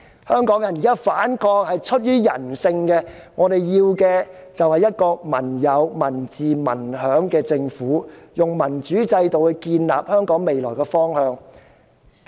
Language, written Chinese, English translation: Cantonese, 香港人現時反抗，是出於人性，我們要求的是一個"民有、民治、民享"的政府，希望能以民主制度訂立香港未來的方向。, It is human nature for Hong Kong people to fight back in the recent protests . We want to have a government of the people by the people for the people . We hope the future direction of Hong Kong will be mapped out under a democratic system